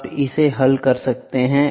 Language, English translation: Hindi, You can solve it